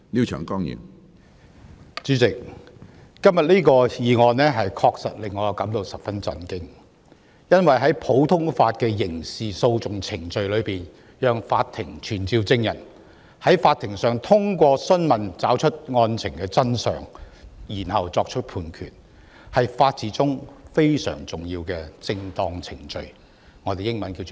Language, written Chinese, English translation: Cantonese, 主席，今天這項議案確實令我感到十分震驚，因為在普通法的刑事訴訟程序中，讓法庭傳召證人，在法庭上通過訊問找出案情真相，然後作出判決，是法治中非常重要的"正當程序"。, President I am indeed appalled by the motion today . In the criminal procedure of the common law it is the due process which is crucial in the rule of law that the Court can summon witnesses and that the truth of the case be established through examination in the court before a judgment is handed down